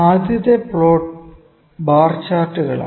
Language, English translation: Malayalam, Number, first plot is the bar charts